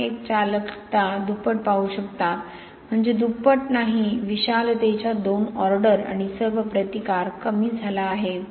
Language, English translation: Marathi, 1percent conductivity has double, I mean two orders of magnitude not double and all resistance has gone down